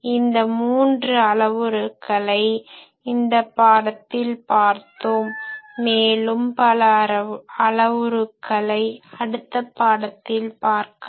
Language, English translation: Tamil, So, this three antenna parameters we have seen in this lecture, some other more antenna parameters we will see in the next lecture